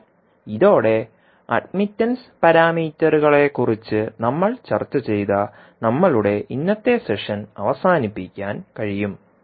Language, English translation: Malayalam, So with this we can close our today’s session in which we discussed about the admittance parameters